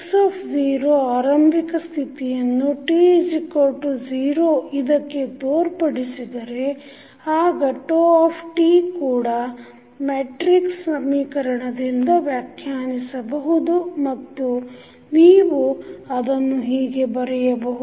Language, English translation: Kannada, Now, if x naught denotes the initial state at time t is equal to 0 then phi t can also be defined in the matrix equation and you can write it that xt is equal to phi t into x naught